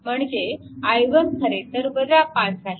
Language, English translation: Marathi, So, i x because it is also 2